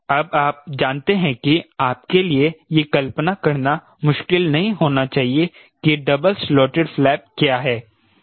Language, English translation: Hindi, now you know that it should not be difficult for you to visualize what is a double slotted flap, one like this, another like this